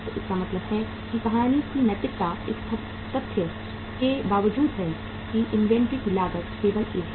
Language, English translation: Hindi, So it means the moral of the story is that despite the fact inventory has a cost only